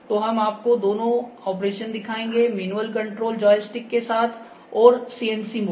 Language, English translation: Hindi, So, we will show you the both operations, the manual control using a joystick and CNC mode as well